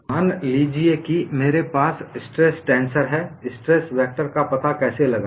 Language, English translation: Hindi, Suppose I have a stress tensor, how to find out the stress vector